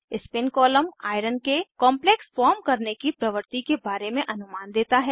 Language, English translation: Hindi, Spin column gives idea about complex formation tendency of Iron